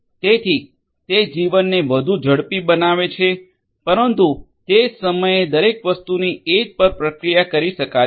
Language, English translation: Gujarati, So, that will make the life faster, but at the same time you know not everything can be processed at the edge